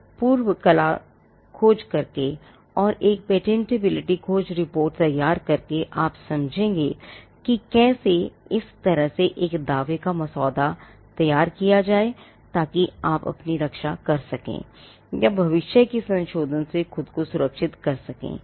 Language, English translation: Hindi, Now by performing a prior art search, and by generating a patentability search report, you would understand as to how to draft a claim in such a manner that you can protect yourself, or safeguard yourself from a future amendment